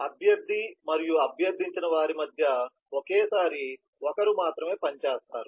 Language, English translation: Telugu, so between the requestor and the requested, only one will work at a time